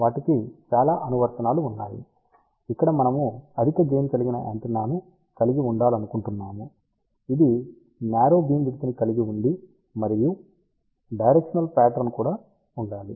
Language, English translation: Telugu, There are many applications, where we would like to have a high gain antenna, which has a narrow beam width and also it has a directional pattern